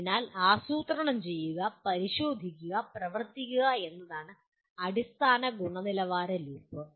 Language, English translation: Malayalam, So plan, do, check, and act is the basic quality loop